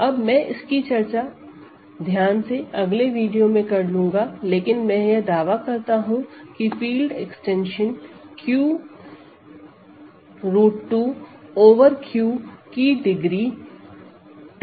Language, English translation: Hindi, Now I will discuss this in the next video carefully, but I claim that this is also 2 the degree of the field extension Q root 2 over Q is 2